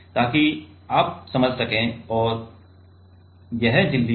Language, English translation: Hindi, So, that you can understand and this is the membrane